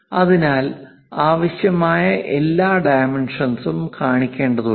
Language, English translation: Malayalam, So, one has to show all the dimensions whatever required